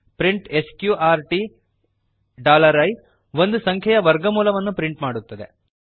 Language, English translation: Kannada, print sqrt $i prints square root of a number